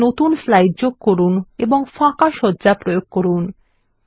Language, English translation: Bengali, Insert a new slide and apply a blank layout